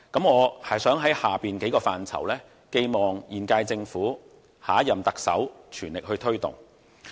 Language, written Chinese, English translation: Cantonese, 我想就以下數個範疇寄望現屆政府、下任特首全力推動。, I hope the present Government and the next Chief Executive will both push ahead with the following areas